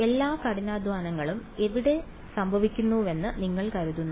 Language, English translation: Malayalam, Where do you think all the hard work will happen